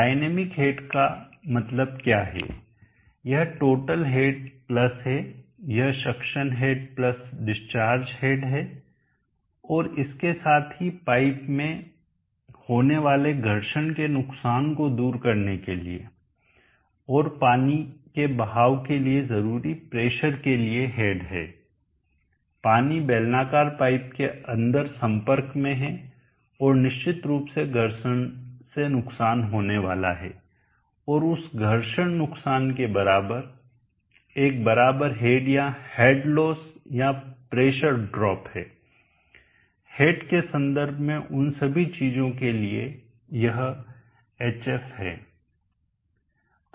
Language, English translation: Hindi, What dynamic head what dynamic head means is the total head plus where it is succession head plus the discharge head plus a head equaling to overcome pressure needed to overcome the friction losses in the pipe and water flows through the pipe water is in contact with the cylindrical pipe and there is defiantly going to be fiction loss and equivalent to that friction loss there is a equivalent head or head loss or pressure loss pressure drop all those things in terms of head it is HF